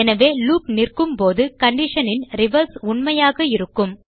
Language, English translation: Tamil, So when the loop stops, the reverse of this condition will be true